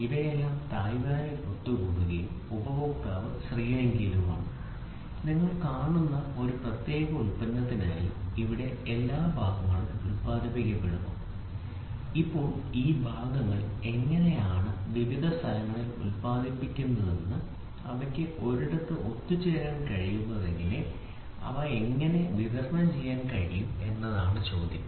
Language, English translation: Malayalam, Today part, the product is assembled at Taiwan, the parts are produced at India and China and some parts are produced in Japan and USA all these things get assembled at Taiwan and the customer is in Sri Lanka, you see for one particular product you see where all the parts are produced and now the question comes is how are these parts produced at different places they are able to get assembled at one place and how are they able to deliver it